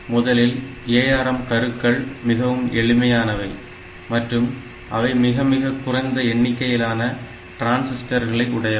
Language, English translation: Tamil, So, first feature is the ARM cores are very simple, and they require relatively lesser number of transistors